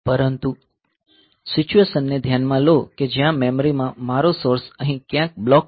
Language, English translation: Gujarati, But, consider the situation where in the memory my source block is say somewhere here